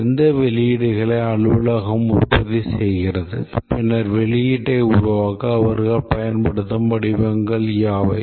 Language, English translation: Tamil, And output, if the office produces some output, then what are the forms they use to producing the output